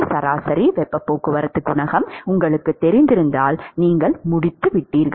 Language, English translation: Tamil, So, if you knew average heat transport coefficient you are done